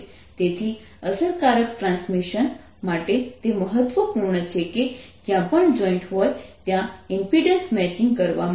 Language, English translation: Gujarati, so for effective transmission it is important that wherever there is a joint impedance, matching is done